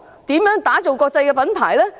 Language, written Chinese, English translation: Cantonese, 如何打造成國際品牌呢？, How can it achieve the objective of building a global brand?